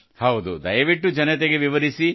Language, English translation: Kannada, Yes, make the people understand